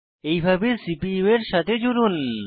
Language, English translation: Bengali, Connect it to the CPU, as shown